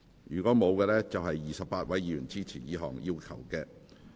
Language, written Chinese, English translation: Cantonese, 如果沒有，共有28位議員支持這項要求。, If not we have a total of 28 Members supporting this request